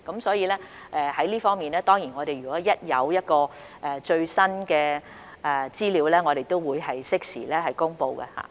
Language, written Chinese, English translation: Cantonese, 所以，在這方面，我們若有最新資料，當然會適時公布。, Therefore in this regard once the updated information is available we will certainly release it in a timely manner